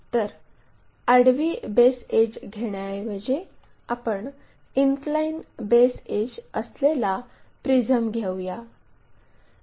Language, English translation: Marathi, So, instead of having this one let us have a inclined prism